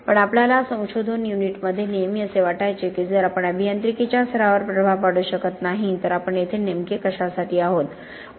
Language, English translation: Marathi, But we always felt in our research unit that if we cannot make an impact on engineering practice, then what do we really here for